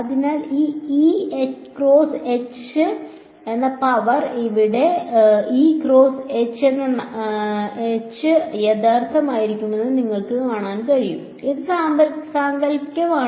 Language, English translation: Malayalam, So, you can see that the power it this E cross H term over here E cross H star can be real can be imaginary right and we will have both parts the complex number